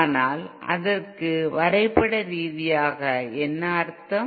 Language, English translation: Tamil, But then what does it mean graphically